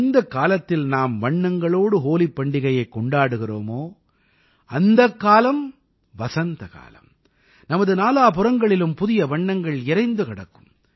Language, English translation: Tamil, When we are celebrating Holi with colors, at the same time, even spring spreads new colours all around us